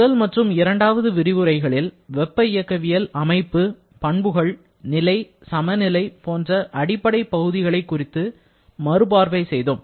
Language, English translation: Tamil, Now, in the first and second lecture, we have discussed about some very fundamental aspects like the concept of thermodynamic system, property, state, equilibrium